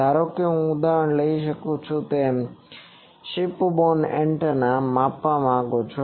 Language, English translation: Gujarati, I can take the example suppose you want to measure a ship borne antenna